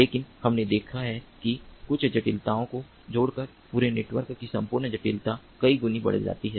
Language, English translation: Hindi, but we have seen that by adding few complexities, the entire complexity of the entire network increases manifold